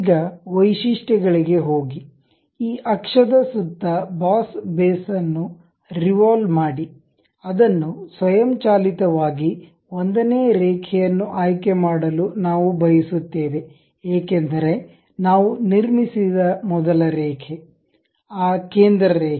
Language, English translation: Kannada, Now, go to features revolve boss base around this axis we would like to have which is automatically selected as line 1, because the first line what we have constructed is that centre line